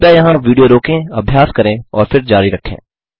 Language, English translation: Hindi, Please, pause the video here, do the exercise and then continue